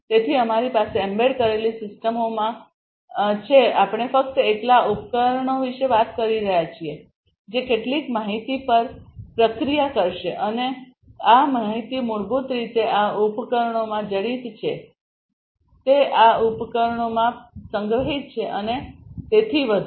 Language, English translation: Gujarati, So, we have in embedded systems we are talking about devices alone the devices that will process some information and this information are basically embedded in these devices, they are stored in these devices and so on